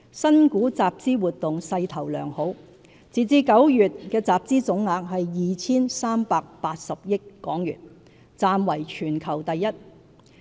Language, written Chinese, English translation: Cantonese, 新股集資活動勢頭良好，截至9月的集資總額為 2,380 億港元，暫為全球第一。, Initial public offering IPO activities have been gaining momentum . Up to September the total IPO funds raised in Hong Kong reached 238 billion the highest among our counterparts over the world so far